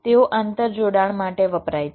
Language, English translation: Gujarati, they are used for interconnection